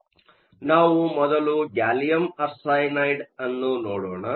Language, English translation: Kannada, So, let us look first at Gallium Arsenide